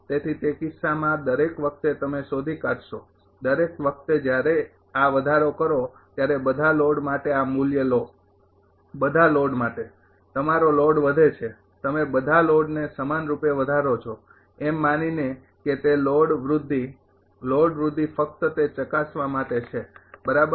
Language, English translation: Gujarati, So, in that case every time you find out every time you increase this take this value for all the loads, for all loads you load is increasing you increase uniformly to all the loads assuming that load growth load growth is there just just to test it right